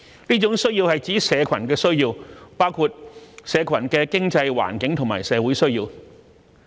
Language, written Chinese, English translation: Cantonese, 這種需要是指社群的需要，包括"社群的經濟、環境和社會需要"。, Such a need is a community need which includes the economic environmental and social needs of the community